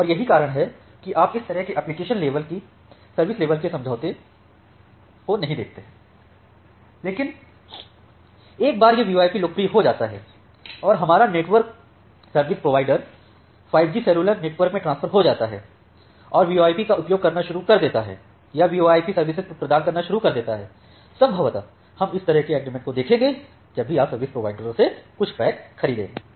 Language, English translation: Hindi, And that is why you do not see this kind of application level service level agreements, but once this VoIP becomes popular and our network service provider migrates to the 5G cellular network and start using or start providing VoIP services possibly we will see this kind of agreements which are coming whenever you are going to purchase some packs from the service providers